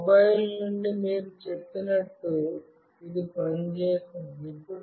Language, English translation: Telugu, As you said from both the mobiles, it was working